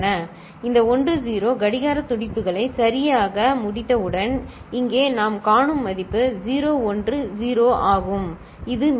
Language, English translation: Tamil, Once we complete this 10 clock pulses right, the value over here what we see is 0 1 0 that is the remainder, ok